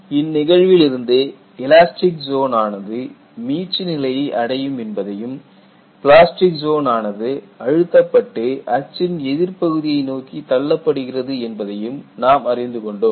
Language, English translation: Tamil, So, what you find here is, the elastic zone has recovered and the plastic zone has been compressed, and in the process, it is pushed to the negative part of the axis